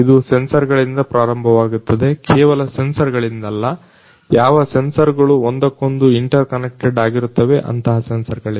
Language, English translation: Kannada, It starts with the sensors not just the sensors the sensors which are connected inter connected with one another